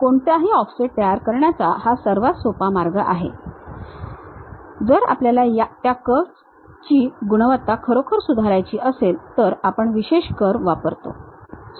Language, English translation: Marathi, This is the easiest way one can really construct any offset, if we want to really improve the quality quality of that curve, we use specialized curves